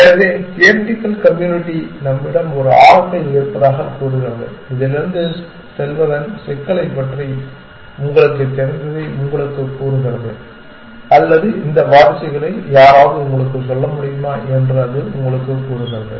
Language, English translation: Tamil, So, the theoretical community would say we have an oracle, it tells you what is the complexity of going from this you know or it tells you which if somebody could tell you that of these successors